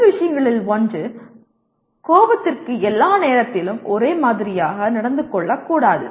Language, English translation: Tamil, One of the first things is one should not react to anger in the same way all the time